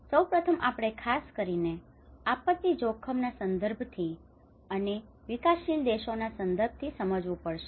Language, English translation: Gujarati, First of all, we have to understand with the especially from the disaster risk context and also with the developing countries context